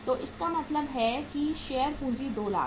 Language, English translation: Hindi, So it means the share capital is 2 lakhs